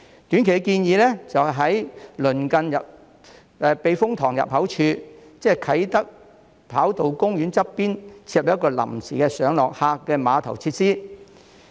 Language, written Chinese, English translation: Cantonese, 短期建議就是在鄰近避風塘入口處，即啟德跑道公園旁邊設立一個臨時的上落客碼頭設施。, A short - term proposal is to establish a temporary terminal facility for passenger embarkation and disembarkation near the entrance to the typhoon shelter that is next to the Kai Tak Runway Park